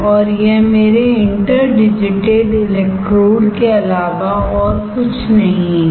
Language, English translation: Hindi, And that is nothing but my interdigitated electrodes